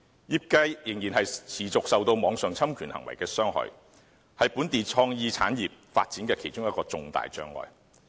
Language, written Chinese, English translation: Cantonese, 業界仍然持續受網上侵權行為的傷害，是本地創意產業發展的其中一個重大障礙。, The continual harm done by online infringements to the industry is one of the major obstacles to the development of local creative industries